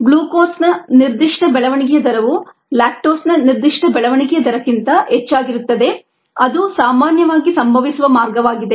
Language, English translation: Kannada, this specific growth rate on glucose would be higher then the specific rate growth rate on lactose